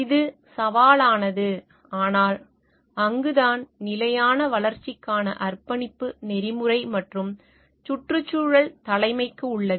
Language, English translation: Tamil, It is challenging, but that is where the commitment to the sustainability development lies for like ethical and environmental leadership